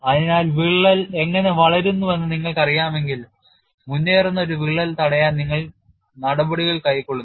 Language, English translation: Malayalam, So, once you know the crack is growing, you take steps to stop an advancing crack